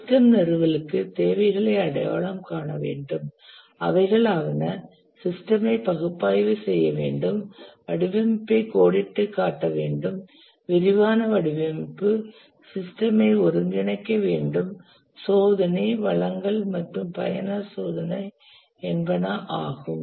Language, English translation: Tamil, For the system installation, we need to identify the requirements, analyze them, outline the design, detailed design, integrate the system test, deliver and user testing